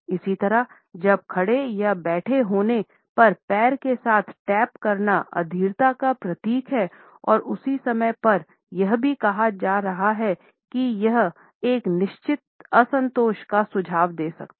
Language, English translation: Hindi, Similarly, while standing or sitting tapping with ones foot symbolizes impatience and at the same time it may also suggest a certain dissatisfaction with what is being said